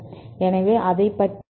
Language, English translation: Tamil, So, let us see that case